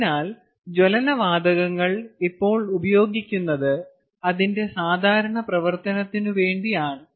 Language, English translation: Malayalam, so that is how the combustion gases are used right now for its normal function